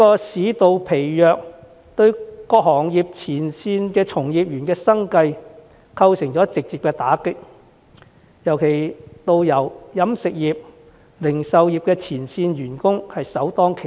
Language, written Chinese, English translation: Cantonese, 市道疲弱對於各行業前線從業員的生計構成直接打擊，導遊、飲食業及零售業的前線員工更是首當其衝。, The livelihoods of frontline practitioners in different trades have been directly affected by the stagnant economy; tourist guides people engaging in the catering and retail sectors are particularly hard hit